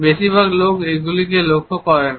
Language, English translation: Bengali, Most people do not even notice them